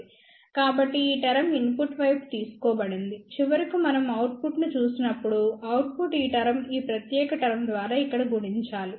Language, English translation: Telugu, So, this term has been taken in the input side, and when finally we look at the output, output will have this term multiplied by this particular term over here